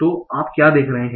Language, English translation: Hindi, So what are you seeing